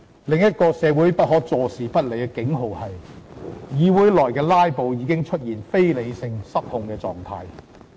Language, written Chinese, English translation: Cantonese, 另一個社會不可坐視不理的警號是：議會內的"拉布"已出現非理性和失控的狀態。, The construction industry as well as the whole society is affected . Another warning sign that society can no longer ignore is that filibusters in this Council have become irrational and out of control